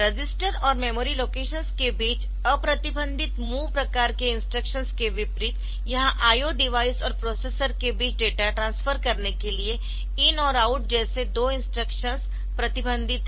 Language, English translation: Hindi, So, unlike that MOV type of instructions, unrestricted MOV type of instructions between register and memory locations, so here it is restricted two instructions like in and out for doing data transfer between I O device and the processor